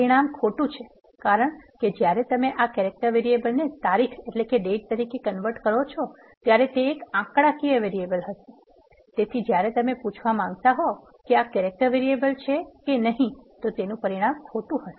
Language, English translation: Gujarati, The result is false because when you coerce this character variable as a date it will be a numeric variable, when you want to ask whether this variable is a character the result will be false